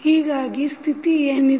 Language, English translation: Kannada, So, what is the condition